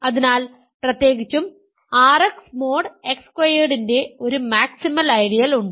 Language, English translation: Malayalam, So, the only maximal ideal of R X mod X squared is the ideal X plus I